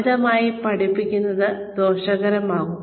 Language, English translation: Malayalam, Over learning, could be harmful